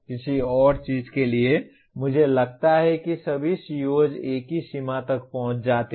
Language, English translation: Hindi, For want of anything else I take that all COs are attained to the same extent